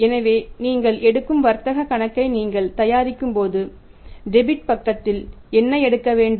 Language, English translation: Tamil, So, when you prepare the trading account what you take in the debit side